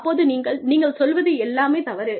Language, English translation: Tamil, And, you say, everything is wrong